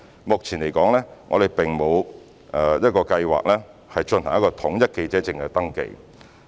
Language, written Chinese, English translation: Cantonese, 目前，我們並無計劃進行統一的記者證登記。, At present we have no plans to centralize the registration of press cards